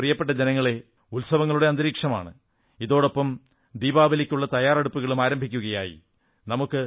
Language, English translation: Malayalam, There is a mood of festivity and with this the preparations for Diwali also begin